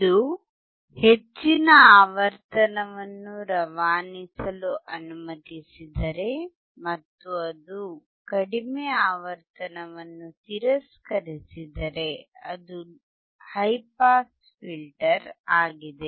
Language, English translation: Kannada, If it allows high pass frequency to pass, and it rejects low pass frequency, it is high pass filter